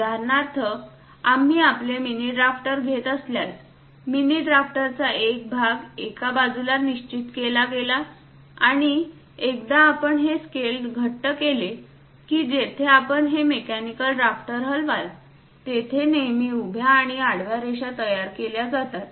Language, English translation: Marathi, For example, if we are taking your mini drafter, one part of the mini drafter is fixed on one side and once you tighten this scale; wherever you move this mechanical drafter, it always construct vertical and horizontal lines